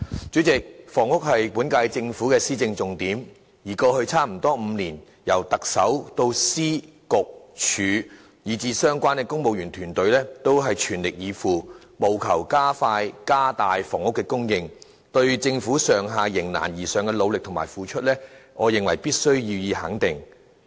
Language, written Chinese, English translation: Cantonese, 主席，房屋是本屆政府的施政重點，而過去差不多5年，由行政長官以至各政府部門的公務員團隊都是全力以赴，務求加快、加大房屋的供應，對政府上下迎難而上的努力及付出，我認為必須予以肯定。, President housing is a priority of the current - term Government in policy implementation . For almost five years in the past the entire government including the Chief Executive and the various civil servant teams in government departments has been making its best endeavours to expedite and increase housing supply . I think the entire government should be given due recognition for making strenuous efforts and endeavours to rise to challenges